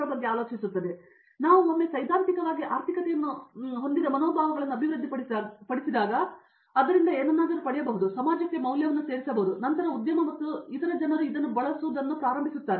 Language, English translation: Kannada, And once we theoretically develop morals which are economical as well and so that you would get something out of it and add value to the society, then the industry and other people start using it